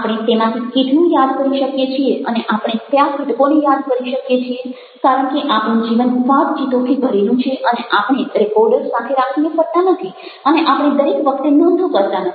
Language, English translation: Gujarati, there is for getting how much of it are we able to remember and which components are be able to remember, because our life is full of conversations and we don't go around with the recorder or we don't go taking notes all the time